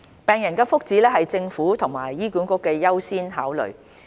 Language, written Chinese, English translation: Cantonese, 病人的福祉是政府和醫管局的優先考慮。, The well - being of patients is the top priority of the Government and HA